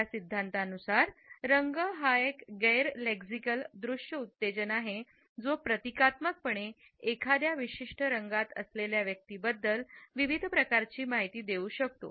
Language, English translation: Marathi, According to this theory, color is a non lexical visual stimulus that can symbolically convey various types of information about the person who is carrying a particular color